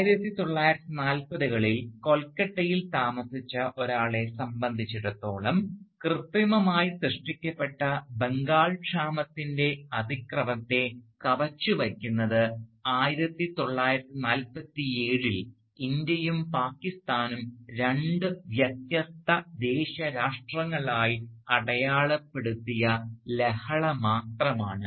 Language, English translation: Malayalam, Indeed, for someone living in Calcutta during the 1940’s, the violence of the artificially created Bengal famine was only surpassed by the violence that marked the birth of India and Pakistan as two distinct nation states in 1947